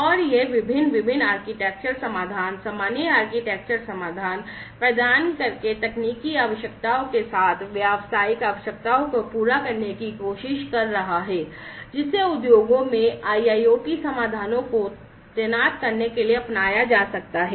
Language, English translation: Hindi, And it is trying to map the business requirements with the technical requirements by providing different, different architectural solutions, common architectural solutions, which could be adopted in order to deploy IIoT solutions in the industries